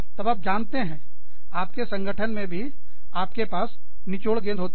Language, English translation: Hindi, Then, you know, even in your organization, you have the squeezy balls